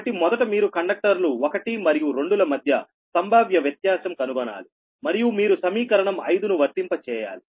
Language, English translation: Telugu, so first you have to find out the potential difference between conductors one and two